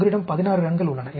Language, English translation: Tamil, You have 16 runs here